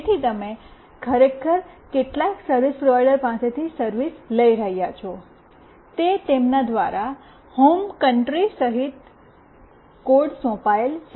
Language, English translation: Gujarati, So, you are actually taking the service from some service provider, it is assigned by them including home country code